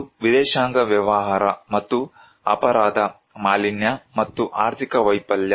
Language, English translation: Kannada, One is the Foreign Affairs, and the crime, pollution, and the economic failure